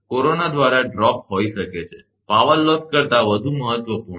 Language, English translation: Gujarati, Drop by corona may be, more important than the power loss